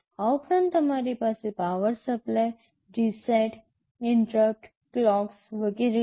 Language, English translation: Gujarati, In addition you have power supply, reset, interrupts, clocks etc